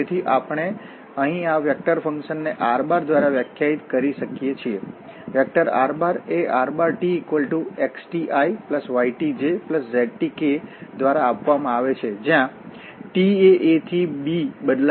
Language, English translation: Gujarati, So, we can define such functions by this vector here r, vector r is given by this component x, component y and component z and this t will vary from a to b